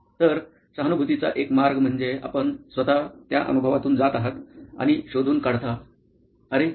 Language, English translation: Marathi, So, one way of empathy could be you yourself going through that experience and figuring out, oh